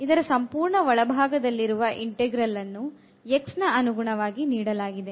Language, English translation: Kannada, So, this is the inner most inner one into integral this is taken with respect to x